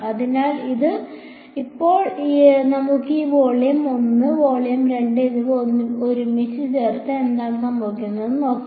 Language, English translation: Malayalam, So, now, let us put all of these volume 1 and volume 2 together and see what happens